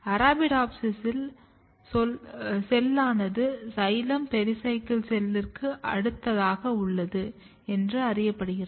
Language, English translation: Tamil, In Arabidopsis it is known that the cell which is next to the xylem the pericycle cell